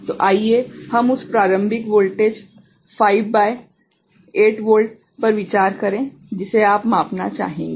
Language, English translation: Hindi, So, let us consider that initial voltage that you would like measure say, 5 by 8 volt